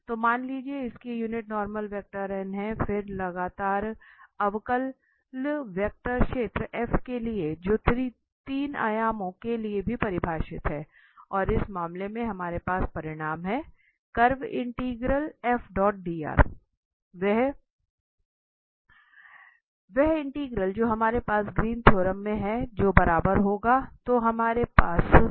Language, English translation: Hindi, So suppose its unit normal vector is n then for a continuously differentiable vector field, so now F is also defined for 3 dimensions and the result we have in this case, the curve integral F dot dr, the same integral what we have in Greens theorem will be equal to so we have this curl F